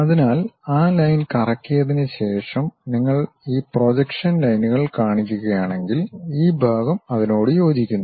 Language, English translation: Malayalam, So, if you are seeing this projection lines after revolving whatever that line, this part coincides with that